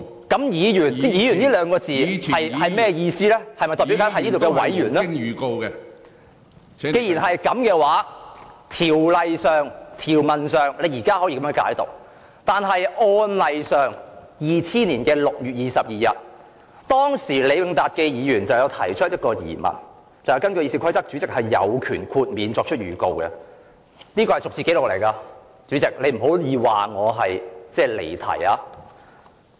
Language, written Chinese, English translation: Cantonese, 既然如此，在條文上，你現在可以如此解讀，但在案例上 ，2000 年6月22日，前議員李永達先生提出了一個疑問："根據《議事規則》主席是有權豁免作出預告的"......這是逐字紀錄，主席，你不可以說我離題。, You may interpret the provision in this way now but in the precedent case that took place on 22 June 2000 former Member Mr LEE Wing - tat raised a query In accordance with the Rules of Procedure the Chairman may in her discretion dispense with notice This is a verbatim record Chairman so you cannot say that I am digressing